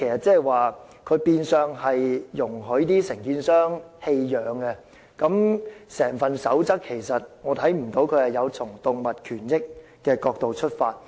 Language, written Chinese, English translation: Cantonese, "這變相容許承建商棄養狗隻，我看不到"建築地盤飼養狗隻守則"有從動物權益的角度出發。, This will in effect allow contractors to abandon dogs . I do not think the Code is formulated on the basis of protecting animal rights